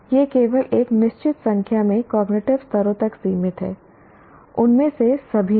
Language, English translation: Hindi, It is limited to only a certain number of cognitive levels, not all of them